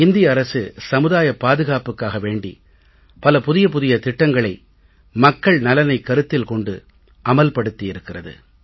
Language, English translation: Tamil, The government of India has launched various schemes of social security for the common man